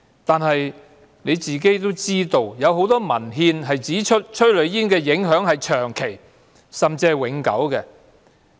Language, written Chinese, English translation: Cantonese, 局長也知道，很多文獻也指出催淚煙的影響是長期，甚至是永久的。, As the Secretary is also aware a lot of literature has already pointed out that the impact of exposure to tear gas is long - term and even permanent